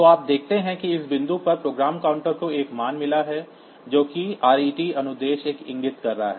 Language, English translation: Hindi, So, you see that program counter at this point program counter has got a value which is pointing to the at the ret instruction